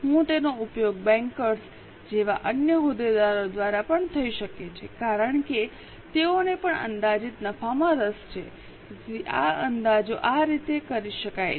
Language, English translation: Gujarati, It can also be used by other stakeholders like bankers because they are also interested in projected profitability